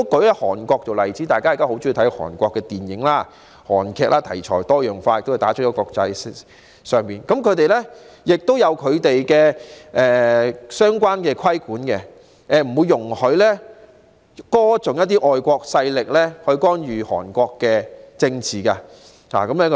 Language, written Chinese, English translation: Cantonese, 以現時大家都很喜歡觀看的韓國電影及劇集為例，其題材多樣化，亦已打入國際市場，但並不表示全無規管，因他們並不容許加入歌頌外國勢力干預韓國政治的內容。, Take Korean films and dramas which are very popular nowadays as examples . They cover a very wide range of themes and have reached out to the international market but this does not mean that they are completely free from regulation because themes that sing in praise of intervention from foreign forces in the political affairs of Korea will not be allowed